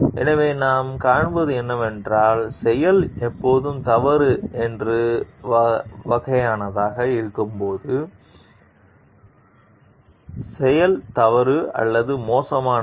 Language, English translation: Tamil, So, what we find is that, when the act is of the sort that is always wrong, the wrong the act is wrong or bad